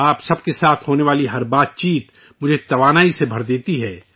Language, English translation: Urdu, Every interaction with all of you fills me up with new energy